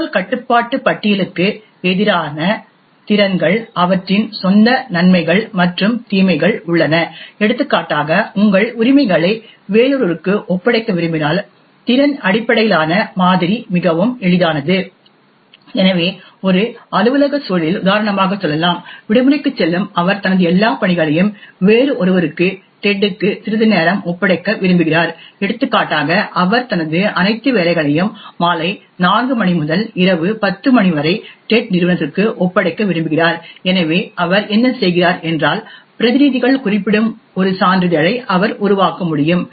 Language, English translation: Tamil, Capabilities versus access control list have their own advantages and disadvantages, for example if you want to delegate your rights to somebody else and a capability based model is much more easy, so let us say for example in an office environment and is going on vacation and she wants to delegate all her tasks to somebody else call Ted for some time, for example she wants to delegate all her jobs to Ted from 4 PM to 10 PM, so what she does is that she can create a certificate stating that the delegates on her jobs to Ted, the refer from 4 PM to 10 PM Ted has complete access for all of her capabilities